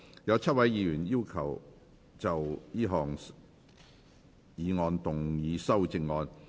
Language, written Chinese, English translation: Cantonese, 有7位議員要就這項議案動議修正案。, Seven Members will move amendments to this motion